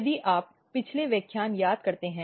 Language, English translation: Hindi, So, if you recall previous lectures